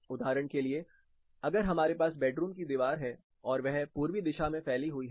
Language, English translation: Hindi, For example, if you were to have a wall which is part of a bedroom, your bedroom wall is exposed to eastern side